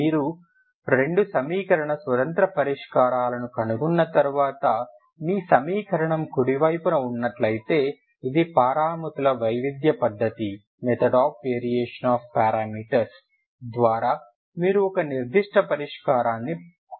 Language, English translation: Telugu, Once you find two linearly independent solutions ok you know if it is if your equation is having right hand side it is a non homogeneous term you can find a particular solution by the method of variation of parameters, ok